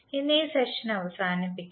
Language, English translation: Malayalam, So we close this session today